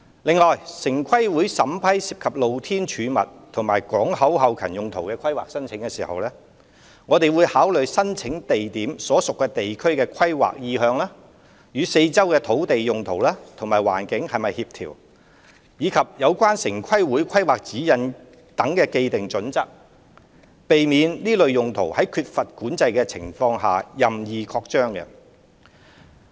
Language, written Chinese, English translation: Cantonese, 另外，城規會審批涉及"露天貯物"和港口後勤用途的規劃申請時，會考慮申請地點所屬地區的規劃意向、與四周土地用途及環境是否協調，以及相關城規會規劃指引所訂的既定準則，避免這類用途在缺乏管制的情況下任意擴張。, Besides in assessing planning applications involving open storage and port back - up uses TPB will take into account the planning intention of the land on which the relevant sites are located compatibility with surrounding land uses and environment and the established planning criteria under the relevant planning guidelines of TPB so as to prevent uncontrolled sprawl of such uses